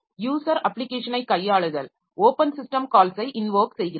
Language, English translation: Tamil, So the handling of a user application invoking the open system call is like this